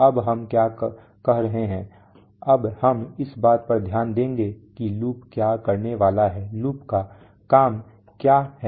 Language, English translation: Hindi, Now what are we saying now we will concentrate on what the loop is going to do, what is the job of the loop